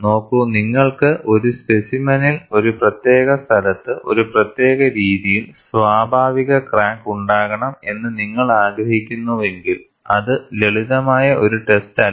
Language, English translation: Malayalam, See, when you have a specimen and you want to have a natural crack at a particular location, at a particular way, it is not a simple task